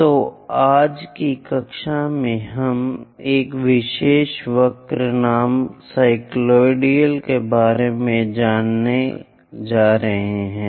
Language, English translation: Hindi, So, in today's class, we are going to learn about a special curve name, cycloid